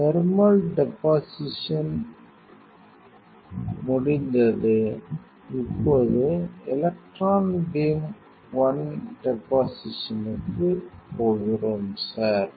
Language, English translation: Tamil, The thermally thermal deposition is completed, now we are going to electron beam one deposition, sir